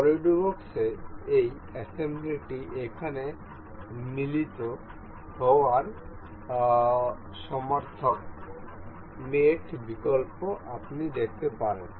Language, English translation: Bengali, The assembly in this in solidworks is synonymous to mate here; mate option you can see